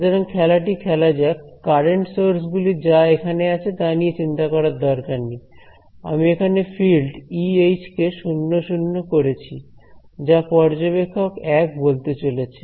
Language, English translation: Bengali, So, let us play along with this game the current sources are here actually we need not worry about the current sources over here, I am setting the fields over here E comma H equal to 00 that is that is what observer 1 is going to report